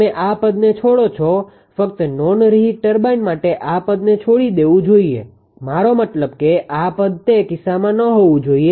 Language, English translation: Gujarati, You would drop this term just hold on just hold on right term for non reheat turbine this term should be dropped I mean this term should be not in that case K r is equal to 1